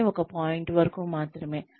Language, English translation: Telugu, But, only up to a point